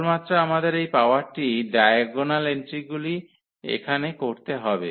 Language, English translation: Bengali, Only thing we have to we have to just do this power here of the diagonal entries